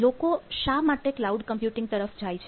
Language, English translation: Gujarati, what is this economy behind cloud computing